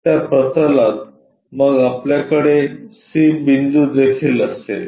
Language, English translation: Marathi, On to that plane then we will have c point also